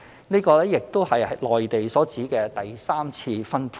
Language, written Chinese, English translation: Cantonese, 這亦是內地所指的第三次分配。, This is also referred to as tertiary distribution in the Mainland